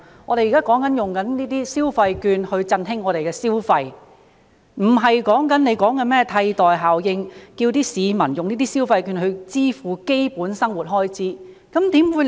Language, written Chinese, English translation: Cantonese, 我們現在說使用這些消費券以振興消費，並不是局長說的甚麼"替代效應"，叫市民用這些消費券支付基本生活開支。, What we are saying here is to use these consumption vouchers to stimulate consumption . It is not about the substitution effect referred to by the Secretary or about asking people to use these consumption vouchers to meet basic living expenses